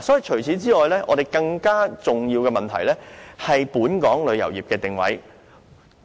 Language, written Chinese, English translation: Cantonese, 此外，更重要的問題是本港旅遊業的定位。, Besides a more important issue is the positioning of Hong Kongs tourism industry